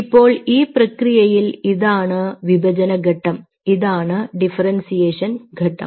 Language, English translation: Malayalam, now, in this process, this is which is the division phase, this is which is the differentiation phase